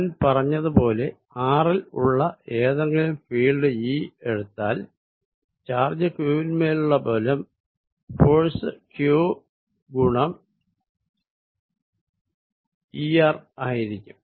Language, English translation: Malayalam, As I said is now that given any field E at r, the force on a charge q, put there is going to be q times this E r